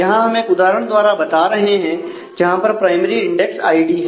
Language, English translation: Hindi, So, here we show an example where the primary index is id